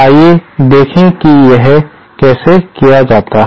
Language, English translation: Hindi, Let us see how it is done